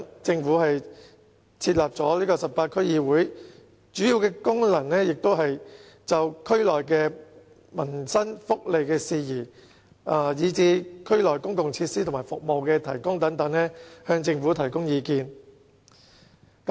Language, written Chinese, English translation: Cantonese, 政府因此設立了18區區議會，主要的功能也是就區內的民生福利事宜及區內公共設施和服務的提供等，向政府提供意見。, For this reason the Government established 18 DCs and their major function is to offer advice to the Government on such matters as public living welfare and also public facilities and services in these districts